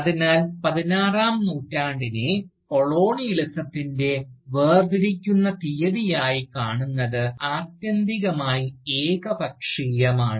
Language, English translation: Malayalam, And, therefore, to have the 16th century, as a cut off date for Colonialism, is ultimately arbitrary